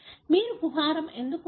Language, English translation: Telugu, Why you have the cavity